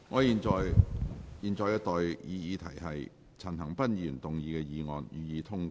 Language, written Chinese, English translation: Cantonese, 現在的待議議題是：陳恒鑌議員動議的議案，予以通過。, I now propose the question to you That the motion moved by Mr CHAN Han - pan be passed